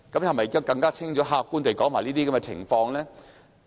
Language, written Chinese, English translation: Cantonese, 可否更清楚、客觀地指出這些情況？, Can the Government make clear and objective exposition?